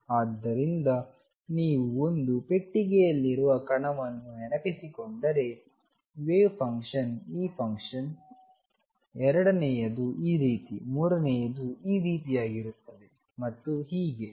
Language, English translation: Kannada, So, in the particle in a box if you recall wave function is this function second one is like this, third one is like this and so on